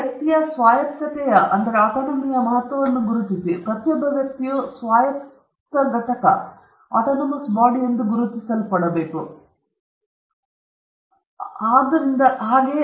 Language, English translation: Kannada, And recognize the importance of autonomy of individual; each individual is recognized as autonomous entity that we have to respect him and her by virtue of the very fact that he or she is an individual human being